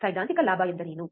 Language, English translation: Kannada, What is theoretical gain